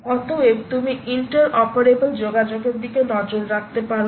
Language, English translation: Bengali, therefore, you may want to look at inter inter ah operable communication